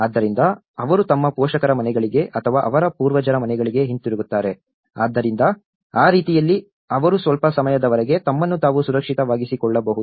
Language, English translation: Kannada, So, they go back to their parental homes or their ancestral homes, so in that way, they could able to be secured themselves for some time